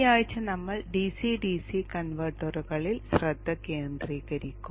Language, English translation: Malayalam, This week we shall focus on DCDC converters